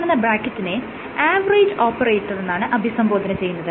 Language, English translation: Malayalam, So, this bracket is called an average operator